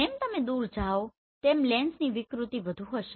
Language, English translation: Gujarati, So as you go away your lens distortion will be more